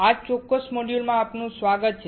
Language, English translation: Gujarati, Welcome to this particular module